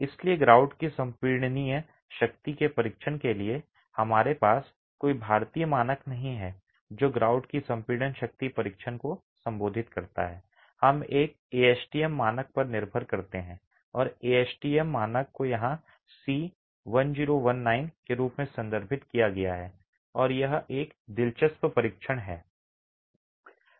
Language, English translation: Hindi, So, for testing the compressive strength of the grout, we don't have an Indian standards that addresses the compressive strength testing of the grout, we depend on the on an ASTM standard and the ASTM standard referred to here is C1019 and it's an interesting test